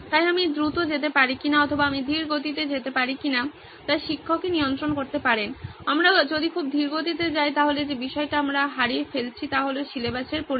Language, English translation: Bengali, So this is what the teacher can control whether I can go fast, or whether I can go slow, what’s the parameter that we are losing out on if we go very slow is the extent of syllabus